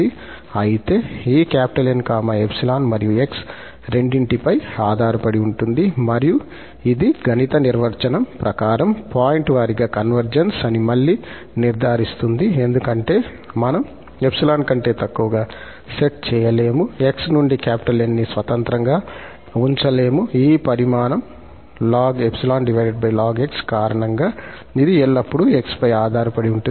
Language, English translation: Telugu, But in that case, this N is depending on epsilon and x both and that again confirms that it is a pointwise convergence according to the mathematical definition, because we cannot set this less than epsilon with this N free from x, this will always depend on x because of this quantity here ln over ln